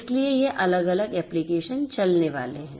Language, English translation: Hindi, So, this different applications are going to run